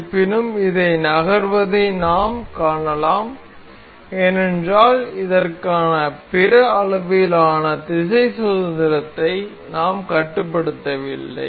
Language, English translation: Tamil, However, this we can see this moving because we have not constraint other degrees of freedom for this